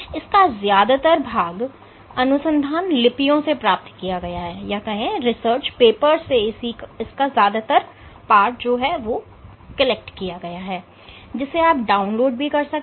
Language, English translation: Hindi, So, most of the course material will come from research papers that you will have to download and read